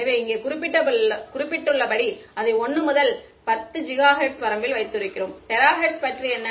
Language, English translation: Tamil, So, as I have mentioned over here, we keep it roughly in the 1 to 10 gigahertz range ok What about terahertz